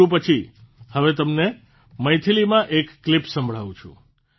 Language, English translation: Gujarati, After Telugu, I will now make you listen to a clip in Maithili